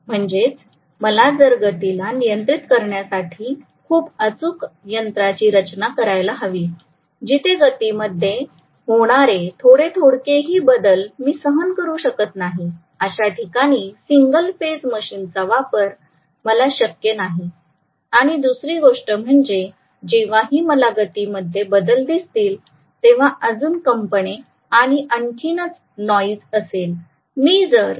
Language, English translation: Marathi, So if I want a very very precise control mechanism for the speed, where I cannot tolerate any oscillations in the speed even small oscillations in the speed I cannot go for single phase machine and another thing is whenever I am going to see there is oscillation in the speed there will be more vibrations, there will be more noise